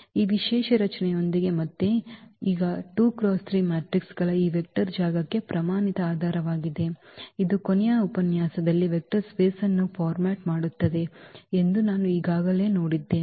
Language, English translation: Kannada, With this special structure again these are the standard basis for this vector space of this 2 by 3 matrices we have already seen that this format a vector space in the last lecture